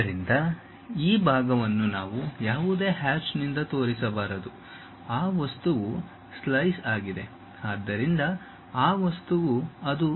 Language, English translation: Kannada, So, this part we should not show it by any hatch that part is that and this material is slice; so, that material is that